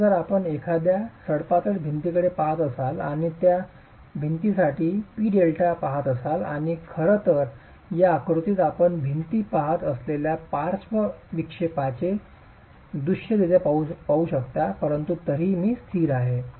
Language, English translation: Marathi, So, if you were to look at a slender wall and look at the p delta for that wall, you will see and in fact in this figure you can visually see the lateral deflection that the wall is undergoing but is still stable